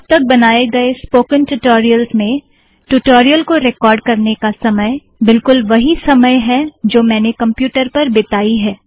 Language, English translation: Hindi, In all the spoken tutorials that I have created so far, the length of the recorded tutorial is exactly equal to the actual time that I spent on the computer